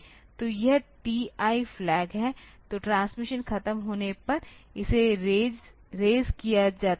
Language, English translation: Hindi, So, this TI flag, so it is raised when the transmission is over